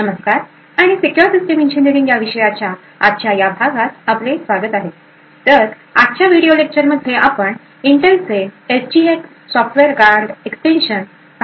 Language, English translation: Marathi, Hello and welcome to today’s lecture in the course for secure systems engineering so in today's video lecture will be looking at Intel’s SGX Software Guard Extensions